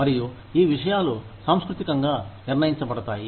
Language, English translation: Telugu, And, these things are, culturally determined